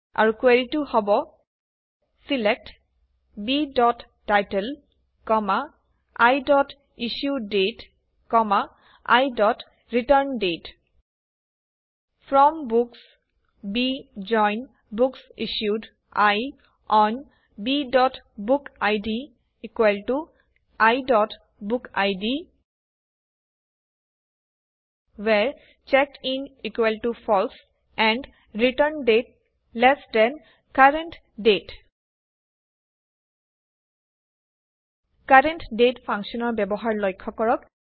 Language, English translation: Assamese, And the query is: SELECT B.Title, I.IssueDate, I.ReturnDate FROM Books B JOIN BooksIssued I ON B.bookid = I.BookId WHERE CheckedIn = FALSE and ReturnDate lt CURRENT DATE So, notice the use of the CURRENT DATE function